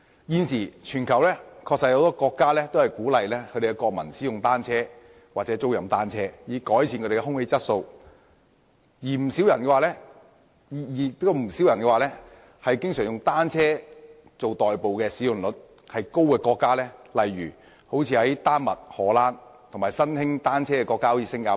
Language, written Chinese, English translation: Cantonese, 現時全球確實有很多國家鼓勵國民使用或租賃單車，以改善空氣質素，而不少人也經常以單車代步率高的國家作比較，例如丹麥、荷蘭，以及新興使用單車的國家如新加坡。, At present a number of countries around the world actually encourage their people to use or rent bicycles in order to improve air quality and many people often use countries where bicycles are commonly used for commuting such as Denmark the Netherlands and those countries with an emerging trend of using bicycles like Singapore for comparison